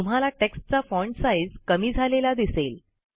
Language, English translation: Marathi, You see that the font size of the text decreases